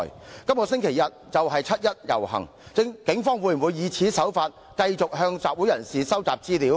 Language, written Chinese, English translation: Cantonese, 七一遊行將在這個星期日舉行，警方會否以同樣手法繼續向集會人士收集資料？, The 1 July march will be held this Sunday will the Police collect information from the participants in the same way?